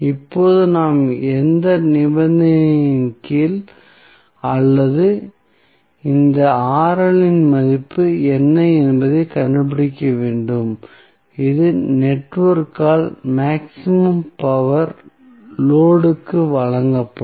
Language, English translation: Tamil, And now, what we have to do we have to find out under which condition or what would be the value of this Rl at which the maximum power would be delivered by the network to the load